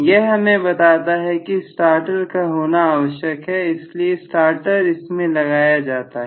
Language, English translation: Hindi, So it is very essential to have a starter so this necessitates employing a starter